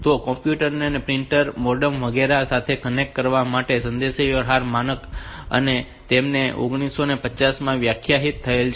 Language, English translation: Gujarati, So, this is a communication standard for connecting computers to printers modems etcetera and it is defined in 1950s